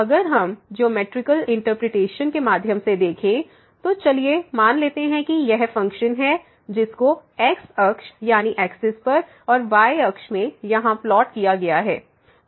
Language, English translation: Hindi, So, if we go through the geometrical interpretation, so, let us consider this is the function which is plotted in this and the here